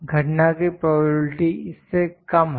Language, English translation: Hindi, The probability of occurrence is less than this